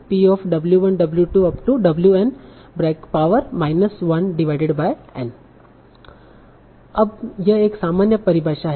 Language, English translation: Hindi, Now this is a generic definition